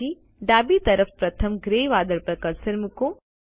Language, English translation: Gujarati, Then place the cursor on the first grey cloud to the left